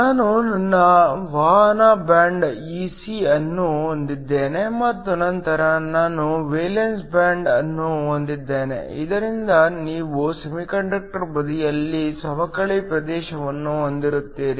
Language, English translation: Kannada, I have my conduction band Ec and then I have my valence band, so that you have a depletion region on the semiconductor side